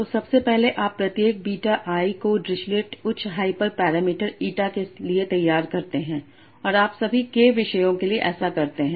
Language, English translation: Hindi, So firstly you draw each topic beta i as per the drisslet had a hyper parameter eta okay and you do that for all the k topics